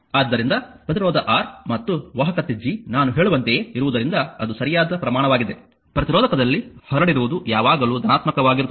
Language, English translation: Kannada, So, since resistance R and conductance G are just what I will told, that it is positive right quantities the power dissipated in a resistor is always positive